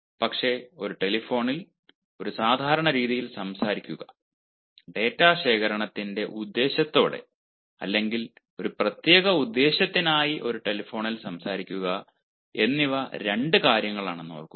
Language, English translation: Malayalam, but remember, talking of a telephone in a casual manner and talking on a telephone with the purpose of data collection or for a specific purpose, these are two things